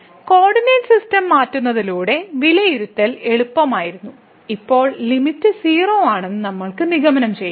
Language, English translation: Malayalam, So, by changing to the coordinate system, the evaluation was easy and we could conclude now that the limit is 0